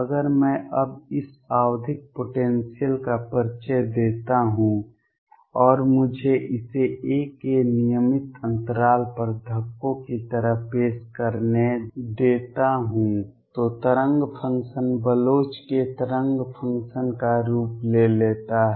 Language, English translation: Hindi, If I now introduce this periodic potential and let me introduce it like bumps at regular intervals of a, the wave function takes the form of Bloch’s wave function